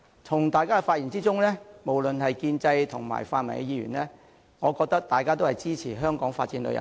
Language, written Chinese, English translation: Cantonese, 從大家的發言可見，無論是建制或泛民議員，大家都支持香港發展旅遊業。, From their speeches I can tell that all the Members regardless of whether they are from the pro - establishment or the pan - democratic camp are supportive of developing tourism in Hong Kong